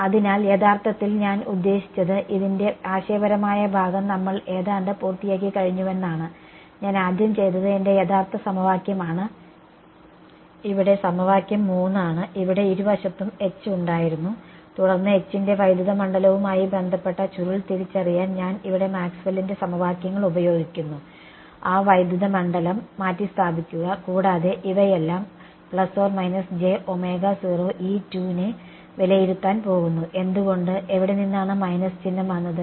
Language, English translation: Malayalam, So, this is actually I mean we are almost done with the conceptual part of this, what I have done is my original equation which was equation 3 here had H on both sides then I just use Maxwell’s equations over here to recognize that curl of H is related to electric field, replace get that electric field in and realize that this whole thing is going to evaluate to just plus minus j omega naught E z why where will the minus sign come from